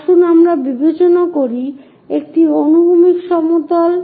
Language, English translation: Bengali, Let us consider this is the horizontal plane